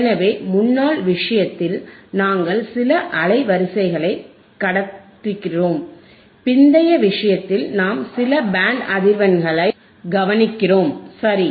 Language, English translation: Tamil, So, in thisformer case, we are passing certain band of frequencies, in thislatter case we are attenuating some band of frequencies right